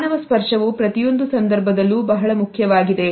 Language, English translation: Kannada, Human touch is important in every circumstances